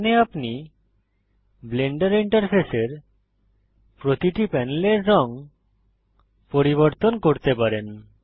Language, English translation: Bengali, Here you can change the color of each panel of the Blender interface